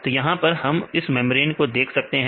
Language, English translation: Hindi, So, now for example, this is a kind of membrane protein